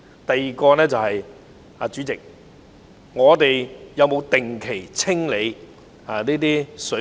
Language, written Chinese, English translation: Cantonese, 第二，政府有否定期清理水渠？, Second does the Government clear the drains on a regular basis?